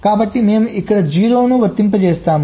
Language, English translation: Telugu, so we apply a zero here